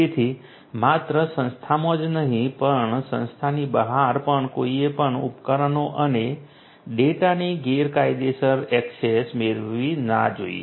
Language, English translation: Gujarati, So, not only within the organization, but also outside the organization also nobody should get illegitimate access to the devices and the data